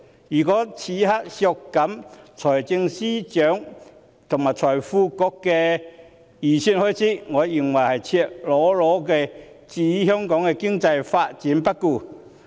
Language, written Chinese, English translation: Cantonese, 如果此刻削減財政司司長和財經事務及庫務局的預算開支，我認為是赤裸裸地置香港經濟發展於不顧。, In my view if we cut the estimated expenditure of the Financial Secretary and the Financial Services and the Treasury Bureau at this moment we will be blatantly ignoring the economic development of Hong Kong